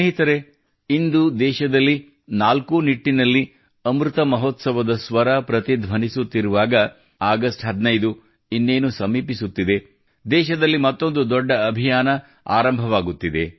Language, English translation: Kannada, Friends, in the midst of the ongoing reverberations of Amrit Mahotsav and the 15th of August round the corner, another great campaign is on the verge of being launched in the country